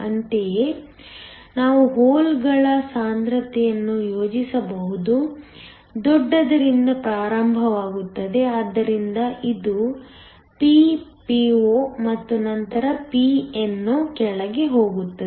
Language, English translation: Kannada, Similarly, we can plot the concentration of holes, starts of high, so which is Ppo and then goes down Pno